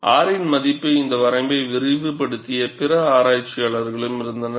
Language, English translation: Tamil, And there were also other researchers, who have extended this range of R